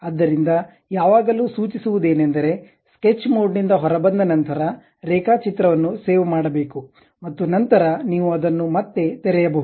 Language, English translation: Kannada, So, it is always recommended to come out of sketch mode, then save the drawing, and later you you you can reopen it